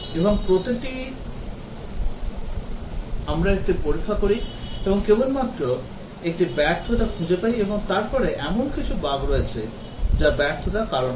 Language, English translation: Bengali, And each, we do a test, and just find a failure, and then there are some bugs which cause the failure